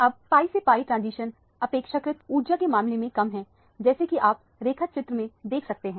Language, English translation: Hindi, Now, the pi to pi star transitions are relatively speaking lesser in energy as you can see from the diagram